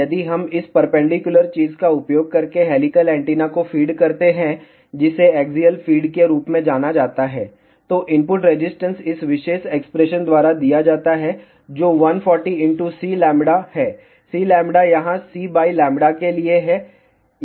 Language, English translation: Hindi, If we feed the helical antenna using this perpendicular thing, that is known as axial feed, then input resistance is given by this particular expression, which is 140 multiplied by C lambda, C lambda here stands for C divided by lambda